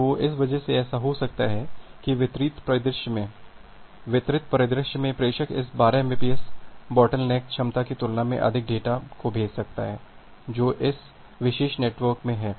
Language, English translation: Hindi, So, because of that it may happen that in a distributed scenario, the sender may push more data compare to this 12 Mbps bottleneck capacity which is there in this particular network